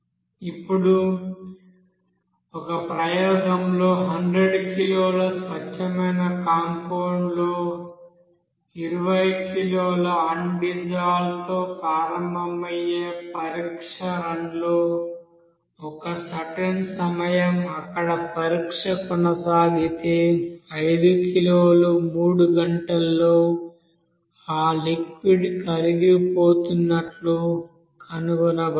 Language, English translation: Telugu, Now in an experiment it is seen that for a test run starting with 20 kg of undissolved compound in 100 kg of pure compound is found that 5 kg is dissolved in 3 hour in that solution, in that liquid